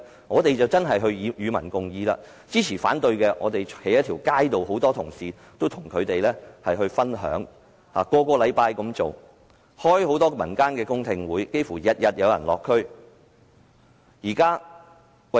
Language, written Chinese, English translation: Cantonese, 我們真的是與民共議，每周站在街上與支持或反對的市民分享，並舉行很多民間的公聽會，差不多每天均有人落區。, We are genuinely engaging the public in discussion standing on the streets every week to share our views with proponents or opponents . We have also held a lot of public hearings in the community and we have people visiting the districts almost on a daily basis